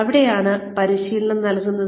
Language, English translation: Malayalam, Where do you give the training